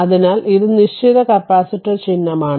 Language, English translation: Malayalam, So, this is the fixed capacitor symbol